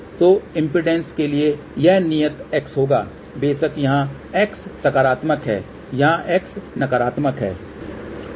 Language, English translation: Hindi, So, for impedance, it will be constant x, of course here x is positive, here x is negative